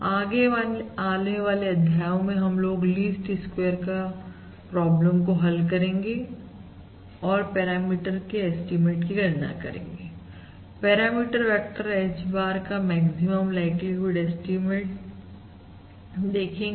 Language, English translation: Hindi, In the subsequent modules we are going to solve the least squares problems and actually compute the estimate of the parameter, the maximum likelihood estimate of the parameter vector H bar